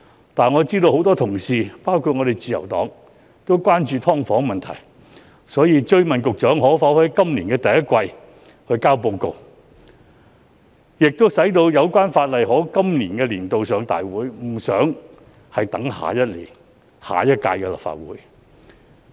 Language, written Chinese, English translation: Cantonese, 然而，我知道多位同事，包括自由黨議員，均十分關注"劏房"問題，所以我追問局長可否在今年第一季提交報告，使《條例草案》趕及在今個立法年度提交大會，而無需等到下屆立法會處理。, Meanwhile I know that many Honourable colleagues including Members from LP have been very concerned about the SDU issue . I have therefore pressed the Secretary further by asking whether the report could be submitted in the first quarter of this year so that the Bill could be introduced in time before the end of this legislative year without having to sit until the next term of the Legislative Council